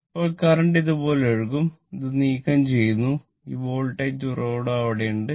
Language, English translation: Malayalam, So, current will flow like this , this is you remove and this Voltage source is there right